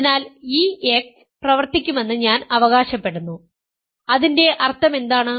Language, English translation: Malayalam, So, I claim that this x works, what is it mean